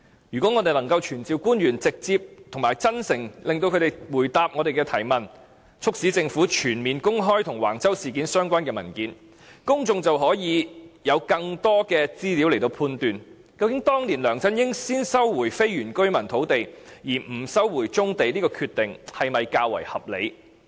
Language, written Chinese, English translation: Cantonese, 如果我們能夠傳召官員直接及真誠地回答我們的提問，促使政府全面公開與橫洲事件相關的文件，公眾便可以有更多的資料來判斷，究竟當年梁振英先收回非原居民土地而不收回棕地的決定是否較為合理。, If we can summon government officials to answer our questions directly and honestly and prompt the Government to disclose all the documents related to the Wang Chau incident then the public will be able to judge whether LEUNG Chun - ying had made a reasonable decision to first resume the land of the non - indigenous villages and postpone the resumption of brownfield sites